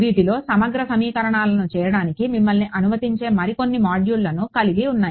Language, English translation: Telugu, Now, they have some more modules which allow you to do integral equations here and there